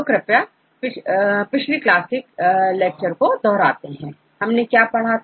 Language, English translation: Hindi, So, could you please remember something what we discussed in the last lecture